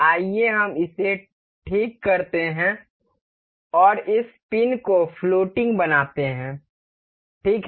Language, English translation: Hindi, Let us fix this one and make this pin as floating, right